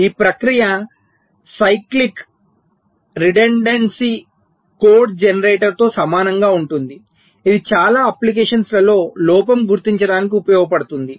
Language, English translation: Telugu, so the process is exactly similar to cyclic redundancy code generator, which is used for error detection in many applications